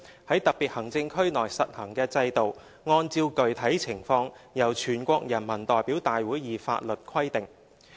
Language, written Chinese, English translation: Cantonese, 在特別行政區內實行的制度按照具體情況由全國人民代表大會以法律規定"。, The systems to be instituted in special administrative regions shall be prescribed by law enacted by the National Peoples Congress in the light of specific conditions